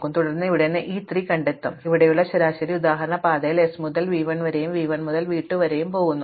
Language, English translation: Malayalam, So, every possible path is represented in particular given our example here by s goes from the path goes from s to v 1, v 1 to v 2 and so on